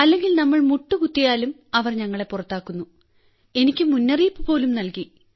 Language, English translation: Malayalam, Or even if we bend our knees, they expel us and I was even given a warning twice